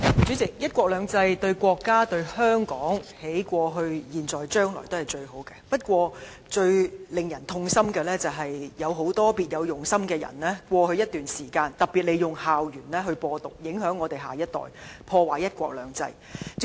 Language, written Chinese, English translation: Cantonese, 主席，"一國兩制"對國家、對香港過去、現在、將來都是最好的安排，最令人痛心的，是有很多別有用心的人在過去一段時間利用校園"播獨"，影響我們的下一代，破壞"一國兩制"。, President one country two systems was is and will be the best arrangement for our country and Hong Kong . It is most saddening that many people with ulterior motives have propagated Hong Kong independence on school campuses poisoning our next generations and undermining one country two systems